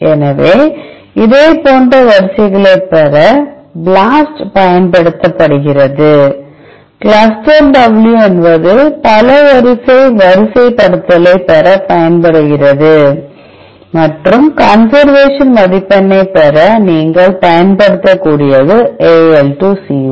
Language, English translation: Tamil, So, BLAST is used to get the similar sequences and CLUSTAL W is used to obtain the multiple sequence alignment and AL2CO you can use to get the conservation score